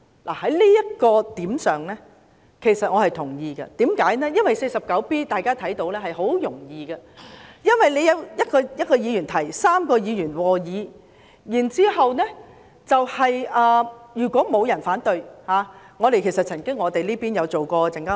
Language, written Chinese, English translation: Cantonese, 對於這一點我是同意的，因為要根據《議事規則》第 49B 條動議議案很易辦到，只需由1名議員提出、3名議員和議，如果沒有議員反對，便可通過。, I concur with this point as it is very easy to move a motion under RoP 49B which requires one Member to propose and three Members to second . The motion would be considered passed should there be no objection from Members